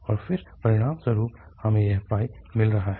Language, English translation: Hindi, And we have the result from here